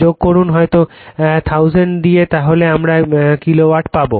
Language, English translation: Bengali, You add on we might by 1000 you will get it kilowatt right